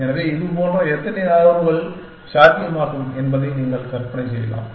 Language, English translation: Tamil, So, you can imagine how many such moves are possible